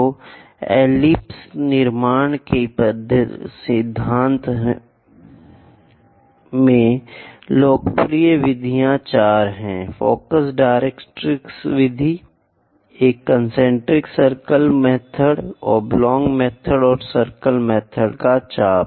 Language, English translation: Hindi, So, in principle to construct ellipse, the popular methods are four focus directrix method, a concentric circle method, oblong method and arc of circle method